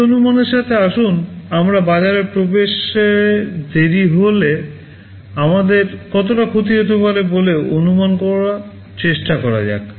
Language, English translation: Bengali, With that assumption let us try to estimate how much loss we are expected to incur if there is a delay in entering the market